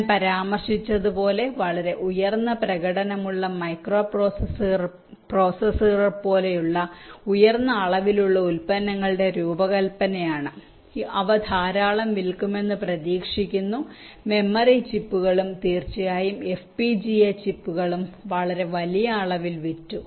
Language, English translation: Malayalam, exceptions, as i mentioned, are the design of high volume products such as high performance microprocessors, which are expected to sold in plenty, memory chips and of course fpga chips, which are also sold in very large numbers